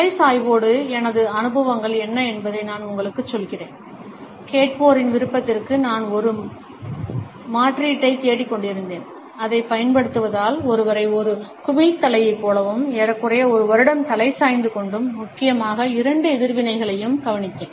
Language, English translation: Tamil, Let me tell you what my experiences with the head tilt are; I was looking for an alternative for the listeners nod, using it perpetually makes one look like a bobble head and after approximately one year of head tilting and noticed mainly two reactions